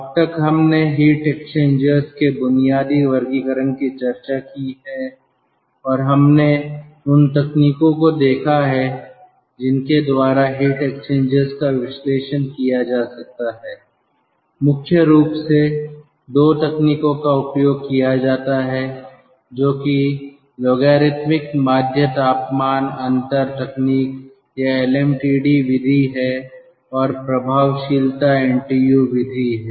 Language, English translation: Hindi, so far we have covered the base basic classification of heat exchangers and we have seen the techniques by which heat exchangers can be analyzed, mainly two techniques which are most commonly used, that is, logarithmic mean temperature difference technique, or lmtd method, and effectiveness ntu method